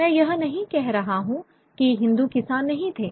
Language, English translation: Hindi, I'm not saying that there were no Hindu peasantry